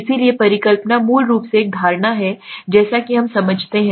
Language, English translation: Hindi, So hypothesis is basically an assumption as we understand